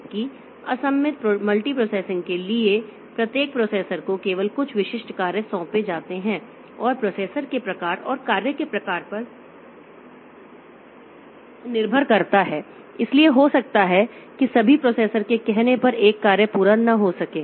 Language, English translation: Hindi, Whereas for asymmetric multiprocessing, so each processor is assigned some specific task only and depending on the type of the processor and the type of the task, so one task may not be able to be carried out by all the processors, only may be a subset of processors can do this